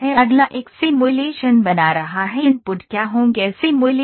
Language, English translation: Hindi, Next is creating a simulation what are the inputs will simulation